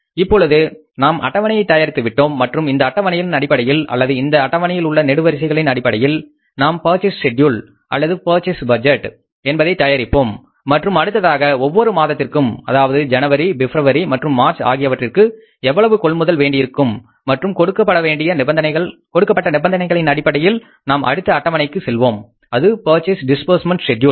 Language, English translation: Tamil, So, now we have prepared this schedule and as per this schedule or as per the columns given in this schedule, we will prepare the purchase schedule or the purchase budget and then we will try to find out for every month, that is the month of January, February and March what is going to be the monthly amount of purchases and accordingly then given as per the conditions given in the sick case, we will go for the next schedule that is a purchase disbursement budget